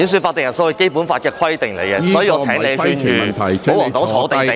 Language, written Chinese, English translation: Cantonese, 法定人數是《基本法》的規定，所以，我請你勸諭保皇黨"坐定定"。, The presence of a quorum is a requirement under the Basic Law so I urge you to advise Members of the royalist camp to sit still